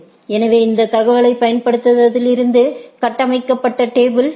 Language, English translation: Tamil, So, this is the table which is being constructed from the, from using those information